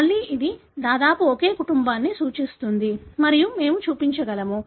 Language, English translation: Telugu, Again it represents pretty much the same family and we can show